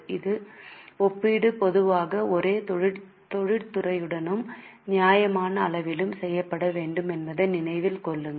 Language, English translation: Tamil, Keep in mind that this comparison should normally be made with the same industry and with reasonably similar sizes